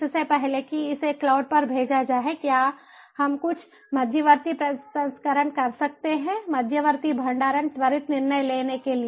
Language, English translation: Hindi, before it is sent to the cloud, can we do some intermediate processing, intermediate storage for, you know, quicker decision making